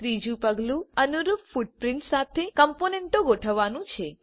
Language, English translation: Gujarati, Third step is to map components with corresponding footprints